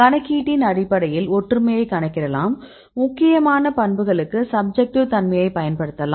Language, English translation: Tamil, Based on the computationly you can calculate the similarities, and you can select or you can use the important properties subjectivity